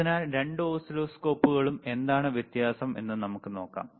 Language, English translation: Malayalam, So, both the oscilloscopes let us see what is the difference